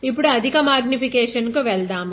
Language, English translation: Telugu, Now, let us go to a higher magnification